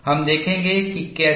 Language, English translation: Hindi, We will see how